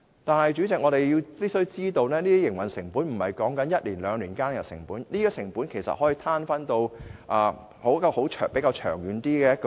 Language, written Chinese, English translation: Cantonese, 但是，主席，我們必須明白，這些營運成本不是指一兩年間的成本，而是可以攤分至較長遠的時期。, But President we must understand that these operating costs are not to be incurred for just one or two years but can be spread over a longer period of time